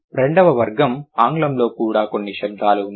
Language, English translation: Telugu, The second category also quite a few sounds in English